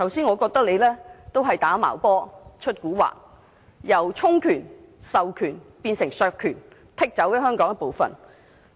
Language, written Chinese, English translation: Cantonese, 我覺得政府在"打茅波"、"出蠱惑"，由充權、授權變成削權，割出了香港一部分。, I think the Government is playing foul instead of delegating power it has slashed its own power and ceded part of Hong Kongs territory